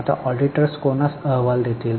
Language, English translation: Marathi, Now, whom will auditors report